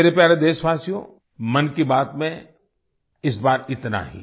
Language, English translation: Hindi, My dear countrymen, that's allthis time in 'Mann Ki Baat'